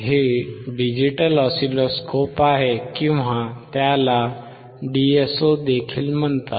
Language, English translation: Marathi, This is digital oscilloscope or it is also called DSO